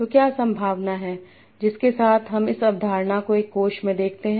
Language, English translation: Hindi, So what is the probability with which I see this concept in a corpus